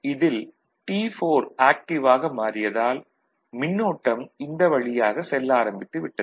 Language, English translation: Tamil, T4 has become active, ok, so current as started flowing through this